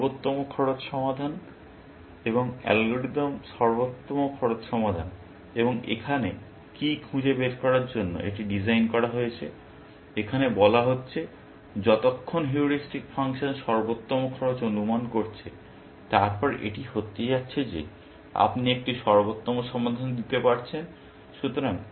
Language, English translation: Bengali, This is the optimal cost solution and algorithm is designed to find the optimal cost solution and what here; saying here is that as long as the heuristic function under estimate the optimal cost, then it is going to be, give you an optimal solution